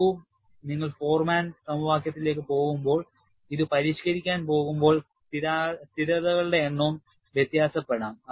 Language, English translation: Malayalam, See, when you go to Forman equation, when you go to modification of this, the number of constants also may differ